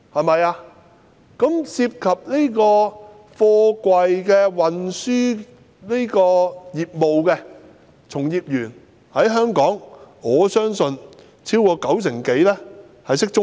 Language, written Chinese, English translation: Cantonese, 我相信，香港貨櫃運輸業的從業員當中，超過九成人懂中文。, I believe that over 90 % of practitioners in the freight container industry in Hong Kong can understand Chinese